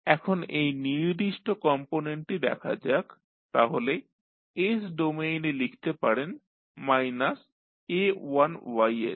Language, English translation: Bengali, Now, let us see this particular component so in s domain you can write as minus a1ys